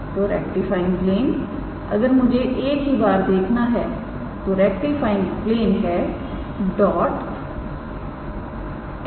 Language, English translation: Hindi, So, rectifying plane if we I just have to check once, rectifying plane is dot n yes